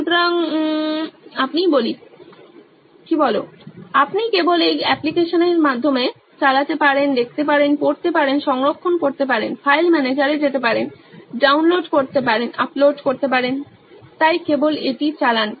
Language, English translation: Bengali, So you can just run through this application, see, read, save, move to file manager, download, upload etc, so just run through it